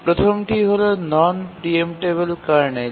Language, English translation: Bengali, The first is non preemptible kernel